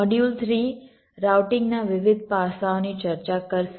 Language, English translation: Gujarati, module three would discuss the various aspects of routing